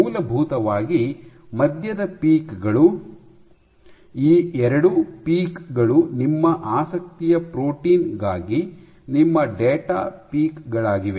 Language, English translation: Kannada, Essentially the middle peaks, these 2 peaks are your data peaks for your protein of interest